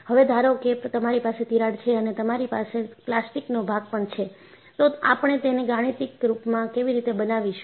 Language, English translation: Gujarati, Suppose, I have a crack and I have a plastic zone, how do I mathematically model it